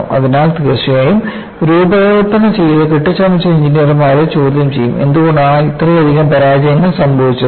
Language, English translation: Malayalam, So, definitely, the engineers whodesigned and fabricated would be questioned why there had been suchastronomical number of failures